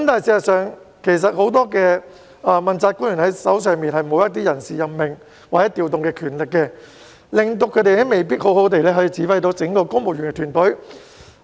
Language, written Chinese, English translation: Cantonese, 事實上，很多問責官員手上沒有人事任命或調動的權力，以致他們未必可以好好指揮整個公務員團隊。, In fact many accountability officials do not have the power in relation to staff appointment or deployment thus preventing them from properly directing the civil service